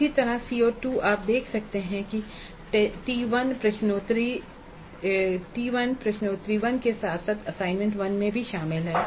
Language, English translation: Hindi, Similarly CO2 you can see it is covered in T1, quiz 1 as well as assignment 1